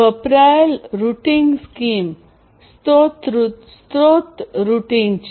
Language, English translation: Gujarati, The routing scheme that is used is source routing